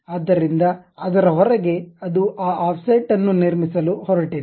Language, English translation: Kannada, So, outside of that it is going to construct that offset